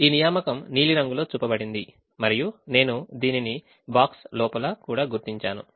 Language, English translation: Telugu, this assignment is shown in the blue color and i am also marking it inside a box